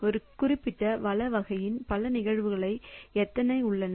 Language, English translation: Tamil, So, how many instances of a particular resource type we have